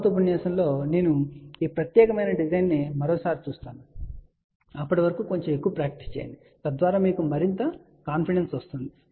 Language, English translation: Telugu, In the next lecture, I will go through this particular design one more time, but till then do little more practice so that you have a more confidence